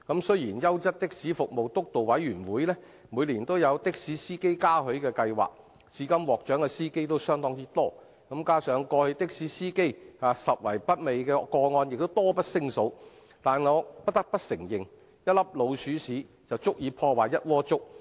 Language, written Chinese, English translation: Cantonese, 雖然優質的士服務督導委員會每年舉辦的士司機嘉許計劃，至今獲獎的司機相當多，加上過去的士司機拾遺不昧的個案亦多不勝數，但我不得不承認，一顆老鼠糞便足以毀掉整鍋粥。, Although the Quality Taxi Services Steering Committee organizes the Taxi Driver Commendation Scheme every year and quite a number of drivers have been awarded so far and there are also numerous cases of drivers returning found property to its owner in the past I must admit that a little mouse dropping is enough to spoil a whole pot of porridge